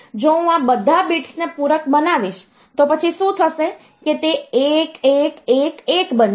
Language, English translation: Gujarati, Now, if I complement all these bits, then what will happen; it will become 1111